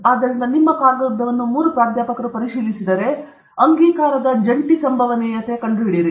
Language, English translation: Kannada, So if your paper is reviewed by three professors, find out the joint probability of acceptance